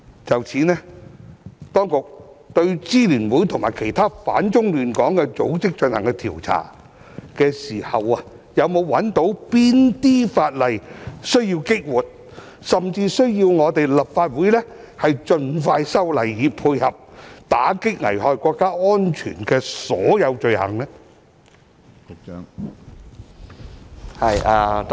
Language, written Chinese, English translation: Cantonese, 就此，當局對支聯會及其他反中亂港的組織進行調查的時候，有否發現哪些法例需要激活，甚至需要立法會盡快修例，以配合打擊危害國家安全的所有罪行呢？, In this connection when the authorities conducted investigations into the Alliance and other organizations which opposed China and stirred up troubles in Hong Kong did they find any piece of legislation that needs to be revived or even expeditiously amended by the Legislative Council so as to complement the efforts in combatting all crimes against national security?